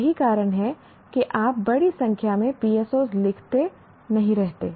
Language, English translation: Hindi, That is, you don't keep on writing a large number of PSOs